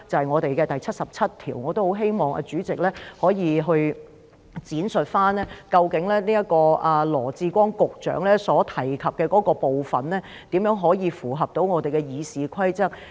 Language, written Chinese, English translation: Cantonese, 我亦希望主席可以闡述，究竟羅致光局長所提及的這個部分，如何符合我們的《議事規則》。, I also hope that President can elaborate on how the part in question mentioned by Secretary Dr LAW Chi - kwong is in compliance with our RoP